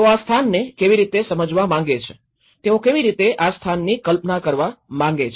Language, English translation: Gujarati, How they want to perceive this place, how they want to conceive this place